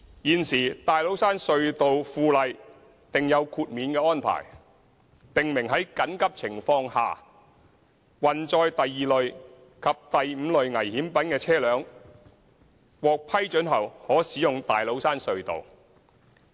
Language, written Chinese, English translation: Cantonese, 現時《大老山隧道附例》訂有豁免安排，訂明在緊急情況下，運載第二類及第五類危險品的車輛，獲批准後可使用大老山隧道。, At present the Tates Cairn Tunnel By - laws provide an exemption if permitted from prohibition against vehicles conveying dangerous goods of Categories 2 and 5 under emergency situations